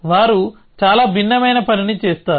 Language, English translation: Telugu, They do something which is quite different